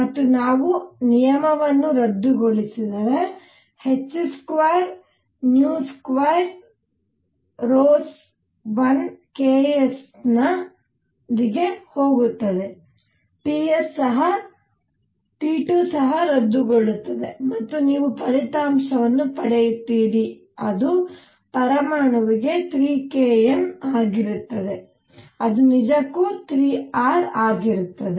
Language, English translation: Kannada, And if we cancel terms h square nu square rows 1 of the ks goes with 1 of the ks here and T square is also cancels and you get the result which is 3 k times N or 3 k per atom which is indeed 3 R